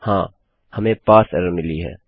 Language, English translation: Hindi, Right, weve got Parse error